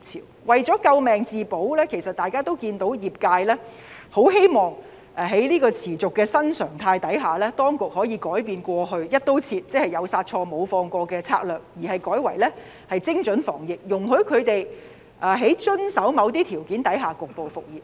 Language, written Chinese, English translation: Cantonese, 我們看到他們為了救命自保，業界希望在這個持續的新常態下，當局可以改變過去"一刀切"，即"有殺錯無放過"的策略，改為精準防疫，容許他們在遵守某些條件下局部復業。, We can see that in order to stay afloat the business sector hopes the authorities will change the past across the board approach or the overkill strategy in the ongoing new normal and adopt a surgical precision anti - pandemic strategy which would allow the business sector to resume business as long as they comply with certain conditions